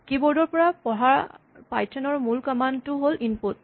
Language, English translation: Assamese, The basic command in python to read from the keyboard is input